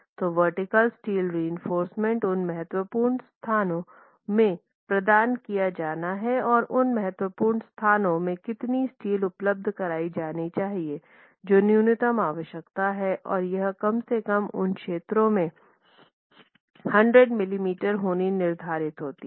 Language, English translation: Hindi, So, vertical steel reinforcement has to be provided in those critical locations and there is a minimum requirement of how much steel must be provided in those critical locations and it is prescribed to be at least 100mm square in those areas